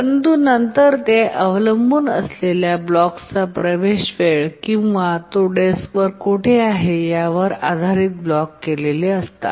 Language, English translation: Marathi, But then the access time of the blocks varies depending on where it is located on the disk